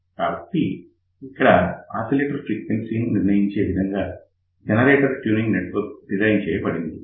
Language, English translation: Telugu, So, let us see now what happened the generator tuning network is designed such a way that it determines oscillation frequency